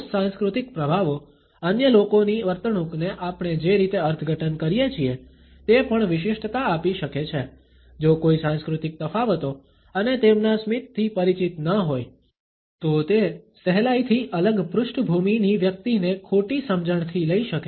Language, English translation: Gujarati, Cross cultural influences can also color the way we interpret the behavior of other people, if one is not aware of the cultural differences and their smiles then it is easy to miss perceived a person from a different background